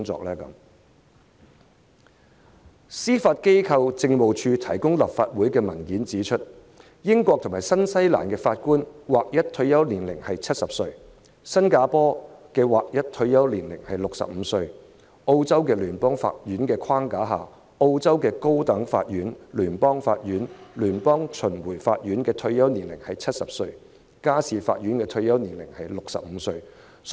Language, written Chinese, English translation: Cantonese, 根據司法機構政務處向立法會提供的文件，英國和新西蘭法官的劃一退休年齡是70歲；新加坡的劃一退休年齡是65歲；在澳洲聯邦法院的框架下，澳洲高等法院、聯邦法院、聯邦巡迴法院的退休年齡是70歲，家事法院的退休年齡是65歲。, According to the papers provided by the Judiciary Administration the standard retirement age of judges in the United Kingdom and New Zealand is 70 Singapore 65 and in Australia the retirement age is 70 for the High Court the Federal Court and the Federal Circuit Court and 65 for the Family Court at federal court hierarchy